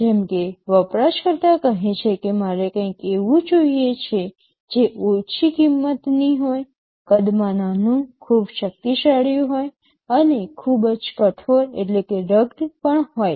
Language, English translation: Gujarati, Like, user may say I want something which is low cost, small in size, very powerful and also very rugged